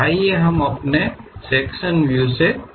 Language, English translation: Hindi, Let us begin our sectional views topic